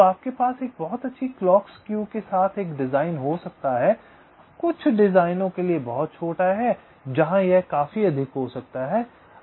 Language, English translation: Hindi, so you can have a design with a very good clock skew, very small for some designs where it can be significantly higher